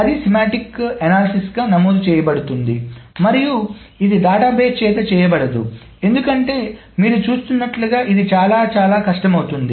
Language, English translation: Telugu, So then that requires a semantic analysis and which is of course not done by the database because it can be very, very hard as you see